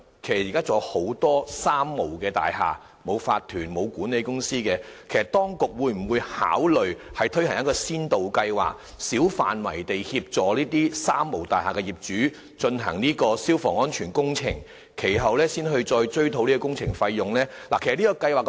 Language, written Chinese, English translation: Cantonese, 現時仍有很多"三無大廈"，沒有法團、沒有管理公司，請問局長，當局會否考慮推行先導計劃，小範圍地協助這些"三無大廈"的業主進行消防安全工程，然後再追討工程費用呢？, As there are many three - nil buildings that is buildings without an OC or hiring any property management company will the authorities consider launching a pilot scheme to assist owners of these three - nil buildings in undertaking fire safety works of a small scale and recover the costs later?